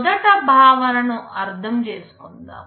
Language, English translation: Telugu, Let us understand first the concept